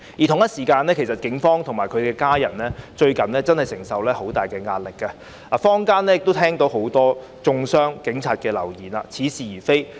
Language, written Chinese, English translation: Cantonese, 同時，警方及其家人近日承受很大壓力，坊間亦聽到很多中傷警察的流言，似是而非。, Meanwhile the Police and their families have lately been under immense pressure and specious rumours defaming police officers also abound in the community